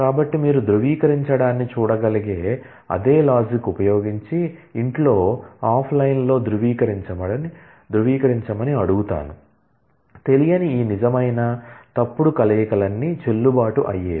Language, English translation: Telugu, So, using that same logic you could see verify, I would ask you to verify offline at home you please verify, that all these combinations of true false with unknown are valid